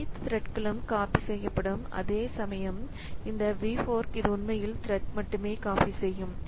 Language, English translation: Tamil, So, all the threads will be duplicated whereas this V fork, this is actually duplicate only the thread